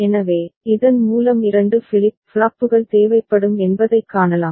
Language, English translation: Tamil, So, by which we can see that 2 flip flops will be required, right